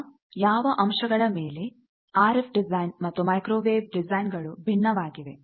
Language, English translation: Kannada, Now, what are the salient points, where this RF design differs from microwave design